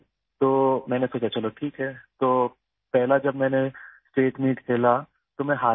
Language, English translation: Urdu, So I thought okay, so the first time I played the State Meet, I lost in it